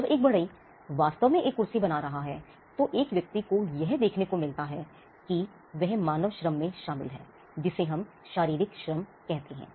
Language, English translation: Hindi, What a person gets to see when a carpenter is actually making a chair, is the fact that he is involved in human labor, what we call physical labor